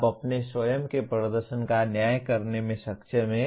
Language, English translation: Hindi, You are able to judge your own performance